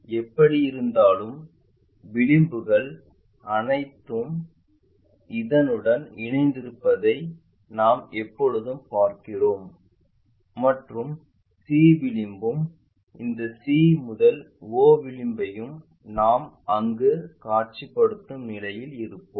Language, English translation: Tamil, Anyway edges we always see that edge goes coincides with that and c edge also whatever c to o edge we will be in a possition to visualize it there